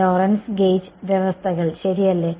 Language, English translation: Malayalam, Lorentz gauge conditions right